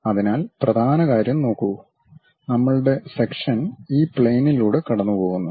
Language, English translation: Malayalam, So, look at the top thing, our section pass through this plane